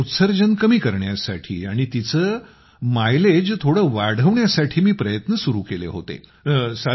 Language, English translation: Marathi, Thus, in order to reduce the emissions and increase its mileage by a bit, I started trying